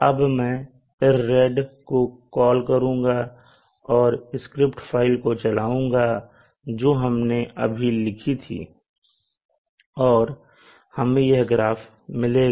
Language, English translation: Hindi, M is located we will now run the script file IRRID now that will result in this graph